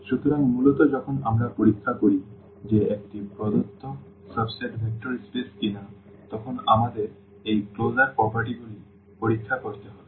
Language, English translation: Bengali, So, basically when we check whether a given subset is a vector space or not what we have to check we have to check these closure properties